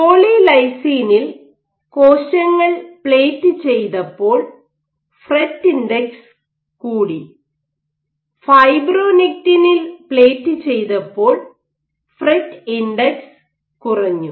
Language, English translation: Malayalam, When cells were plated on polylysine whatever with the fret index when they plated it on fibronectin the fret index dropped